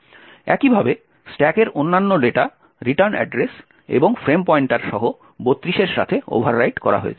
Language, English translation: Bengali, Similarly the other data on the stack including the return address and the frame pointer gets overwritten with 32’s